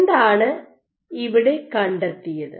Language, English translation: Malayalam, And what they found